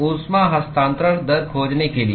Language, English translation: Hindi, To find the heat transfer rate